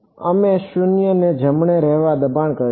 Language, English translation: Gujarati, We will force to be 0 right